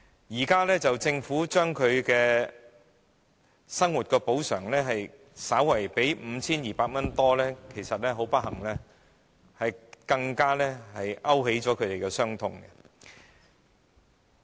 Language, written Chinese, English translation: Cantonese, 現在政府對他們的生活補償金額增加至 5,200 元多一點，其實反而很不幸地會勾起他們的傷痛。, At present the Government proposes to increase the level of compensation to a little more than 5,200 which on the contrary will only inflict on them the traumatic experience